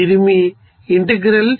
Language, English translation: Telugu, So this is your integrals